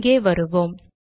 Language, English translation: Tamil, Let me go here